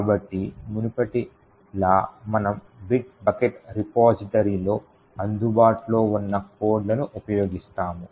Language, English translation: Telugu, So as before we will be using the codes that is available with Bit Bucket repository